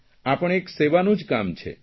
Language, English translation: Gujarati, This is also a kind of service